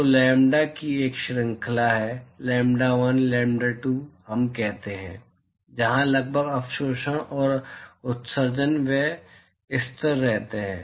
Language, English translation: Hindi, So, there is a range of lambda, lambda1, lambda2 let us say, where approximately the absorptivity and emissivity they remain constant